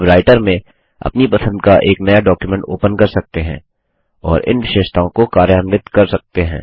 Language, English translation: Hindi, You can open a new document of your choice in Writer and implement these features